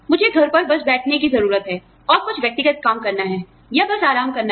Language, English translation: Hindi, I just need to sit at home, and do some personal things, or just rest